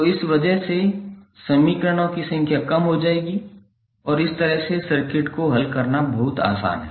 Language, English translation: Hindi, So, because of this the number of equations would be reduced and it is much easier to solve this kind of circuit